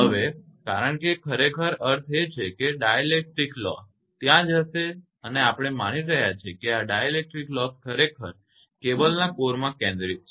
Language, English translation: Gujarati, Now, because actually meaning is that dielectric loss will be there right and we are assuming that this dielectric loss actually concentrated at the core of the cable